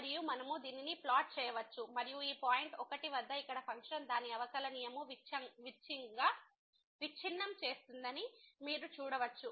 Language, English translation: Telugu, And we can plot this one and then again you can see that at this point 1 here the function breaks its differentiability